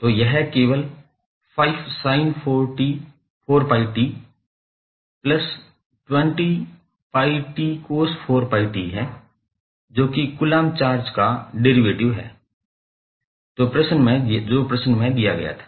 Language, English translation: Hindi, So, that is simply 5 sin 4pi t plus 20 pi t cos 4 pi t that is the derivative of coulomb charge which was given in the question